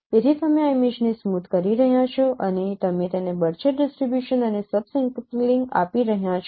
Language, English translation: Gujarati, So you are smoothing this image and you are getting more coarser distribution and subsampling it